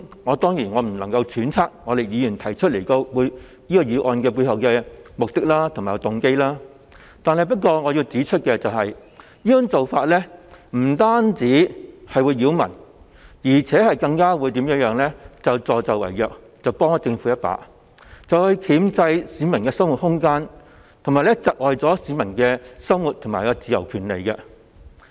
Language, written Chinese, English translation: Cantonese, 我當然不能揣測議員提出這項決議案的背後目的和動機，但我要指出，這做法不僅擾民，更是助紂為虐，幫政府一把箝制市民的生活自由，以及剝奪市民生活上的權利。, I should of course refrain from speculating the purpose and motive behind Members proposal of this resolution but I wish to point out that this move not only results in nuisance to the public but also amounts to conniving with the Government to restrain peoples freedom in living their lives and deprive them of their rights in daily life . Actually the truth is all too clear and obvious